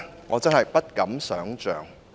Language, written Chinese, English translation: Cantonese, 我真的不敢想象。, I really dare not imagine